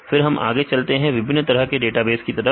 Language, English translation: Hindi, Then we moved on to the different types of databases